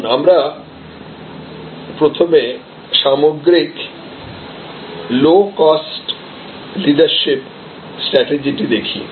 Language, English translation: Bengali, So, let us look at first the overall low cost leadership strategy